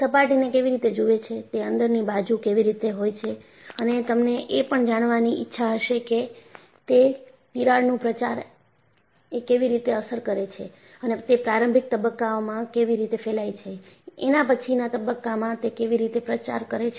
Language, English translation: Gujarati, How does it look at the surface, how does it look at the interior and you will also like to know, how does it affect the propagation of crack, how does it propagate at initial stages, how does it propagate at the later stages